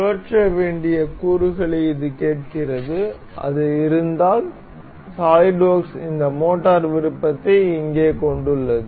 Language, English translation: Tamil, This asks for component which has to be rotated that if it were if it were, solid work features this motor option over here